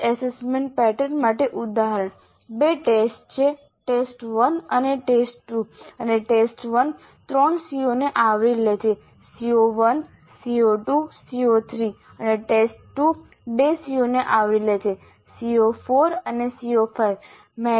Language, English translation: Gujarati, There are two tests, test one and test two and the test one covers three COs CO1, CO2 CO3 and test 2 covers 2 CO2 CO2 CO3